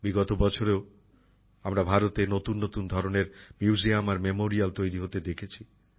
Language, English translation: Bengali, In the past years too, we have seen new types of museums and memorials coming up in India